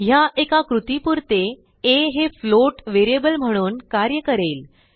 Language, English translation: Marathi, Now a will behave as a float variable for a single operation